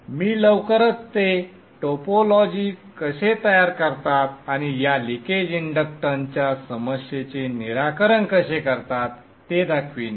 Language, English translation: Marathi, I will show how we construct that topology shortly and address the issue of this leakage inductance